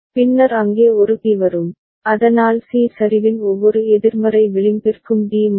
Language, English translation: Tamil, Then there will be a D coming over there right, so that D will change for every negative edge of C ok